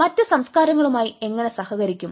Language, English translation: Malayalam, how to cope with other cultures